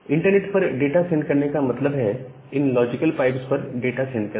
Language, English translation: Hindi, Now, sending the data over the internet means sending the data over these logical pipes